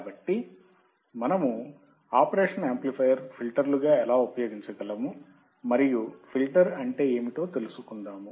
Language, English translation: Telugu, So, how we can use operational amplifier as filters and what exactly filter means